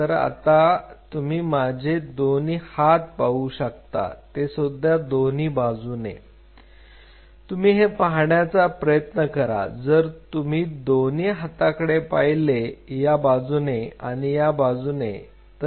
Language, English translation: Marathi, So, you see my arms on both sides you are try to look at like this if you look at my arms on both sides this side and this side